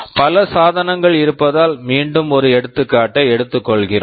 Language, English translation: Tamil, Because there are many devices, let me take an example again